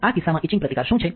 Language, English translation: Gujarati, What is etch resistance in this case